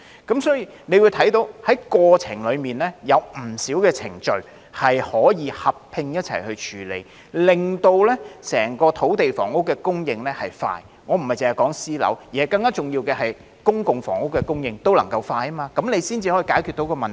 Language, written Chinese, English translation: Cantonese, 因此，大家看到，在過程中有不少程序可以合併處理，令整個土地房屋供應流程加快——我並非單指私樓，更重要的是，公共房屋供應流程也能夠加快——這樣才能解決問題。, Therefore we can see that many procedures can be combined throughout the course so as to speed up the entire process of supplying land for housing―I do not mean private housing only―and more importantly the process of supplying public housing units can be expedited . Only by so doing can the problem be resolved